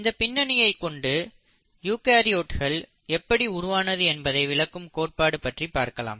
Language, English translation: Tamil, And I will come back to this again when we talk about origin of eukaryotes